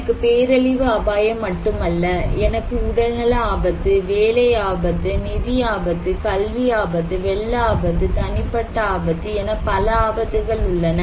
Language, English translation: Tamil, I have health risk, I have job risk, I have financial risk, I have academic risk, flood risk, personal risk